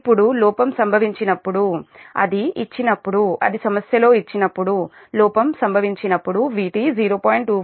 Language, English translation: Telugu, now, when the fault occurs, when the it gives, it is given in the problem, when the fault occurs, the v